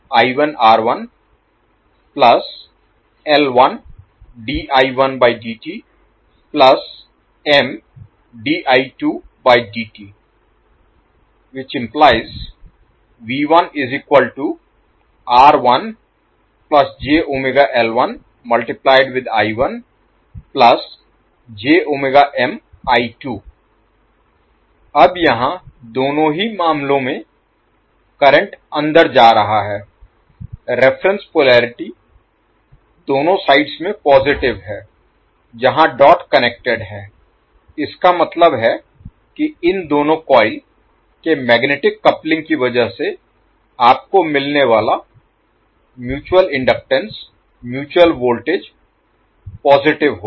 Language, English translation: Hindi, Now here in both of the cases your current is going inside the dot for reference polarity is positive in both of the sides where the dot is connected it means that the mutual inductance mutual voltage which you get because of the magnetic coupling of these two coils will be positive